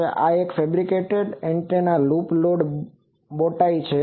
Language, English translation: Gujarati, So, this is a fabricated antenna loop loaded bowtie